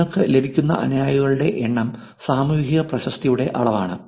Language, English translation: Malayalam, number of followers that you have is a measure of social reputation